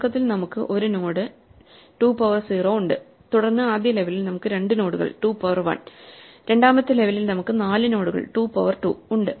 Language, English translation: Malayalam, Initially, we have 1 node 2 to the 0, then at the first level we have 2 nodes 2 to the 1 and second level we have 4 nodes 2 to the 2 and so on